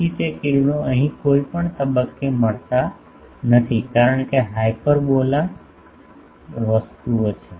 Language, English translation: Gujarati, So, they the rays do not meet at any point here, because of the hyperbolas things